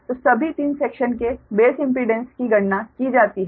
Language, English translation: Hindi, so all the three sections ah, base impedance are computed right now